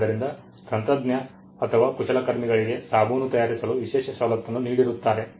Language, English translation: Kannada, So, when a technician or a craftsman was given an exclusive privilege to manufacture soaps for instance